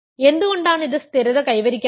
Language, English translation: Malayalam, So, why does it not stabilize,